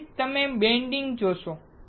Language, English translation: Gujarati, That is why you see a bending